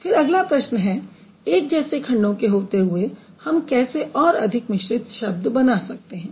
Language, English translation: Hindi, Then the next question is how are more complex words built up from similar parts